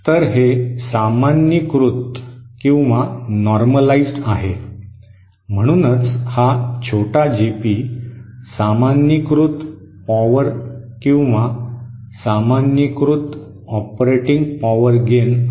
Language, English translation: Marathi, So this is the normalised, so this small GP is the normalised power gain or the normalised operating power gain